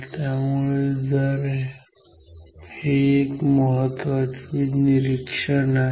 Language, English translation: Marathi, So, this is the important observation